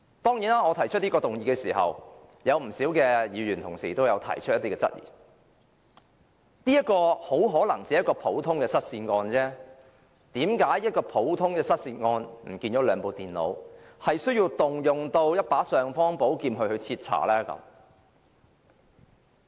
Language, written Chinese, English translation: Cantonese, 當然，我提出這項議案時，有不少議員同事都提出一些質疑，認為這很可能只是一宗很普通的失竊案，為何要就一宗失去了兩部電腦的普通失竊案，運用尚方寶劍來徹查？, Many Members have understandably challenged my motion saying that this is probably just a very common case of theft . They all question why we must invoke this powerful ordinance to inquire into such a common case of theft involving merely two computers